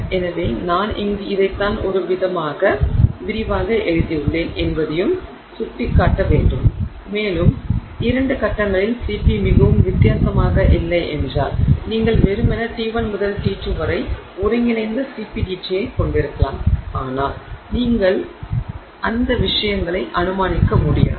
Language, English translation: Tamil, So, I will also point out that you know this is I have written this kind of in an elaborate way here and if the CP is not very different in the two phases you may simply have integral CP DT from T1 to T2 but you cannot assume those things so if it is the same then it will be the same otherwise you will have more detailed information of this sort